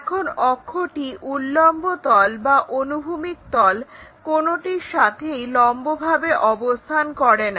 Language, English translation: Bengali, Now, this axis is neither perpendicular to vertical plane nor to this horizontal plane